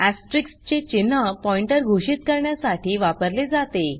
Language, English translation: Marathi, Asterisk sign is used to declare a pointer